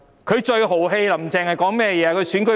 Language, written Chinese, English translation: Cantonese, 她最豪氣的說話是甚麼？, What is the boldest remark ever made by her?